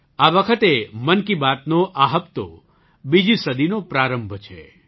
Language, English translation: Gujarati, This time this episode of 'Mann Ki Baat' is the beginning of its 2nd century